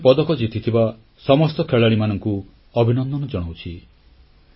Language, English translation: Odia, I wish to congratulate all players who have won medals for the country